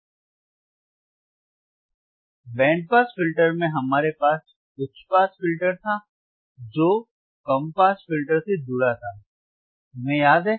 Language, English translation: Hindi, Now, in the band pass filter, we had high pass band pass band pass filters